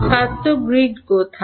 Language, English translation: Bengali, Somewhere in the grid